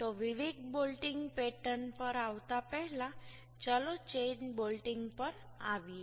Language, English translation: Gujarati, So, coming to the different bolting pattern, first let us come to the chain bolting